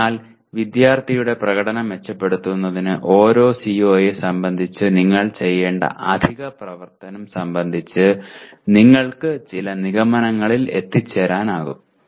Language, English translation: Malayalam, So this is, so you can draw some conclusions about each CO what additional activity that you should do to improve the performance of the student